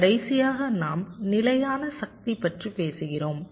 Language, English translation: Tamil, ok, and lastly, we talk about static power